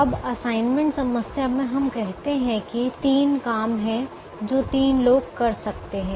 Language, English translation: Hindi, in the assignment problem let's say there are three jobs which can be done by three people